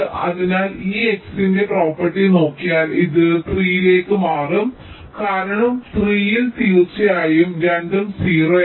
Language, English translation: Malayalam, so this, if we just look at the property of this x, this will shift to three because at three, definitely both of them are at zero